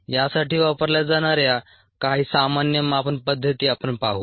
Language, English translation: Marathi, we would look at some of the common measurement methods that are used for these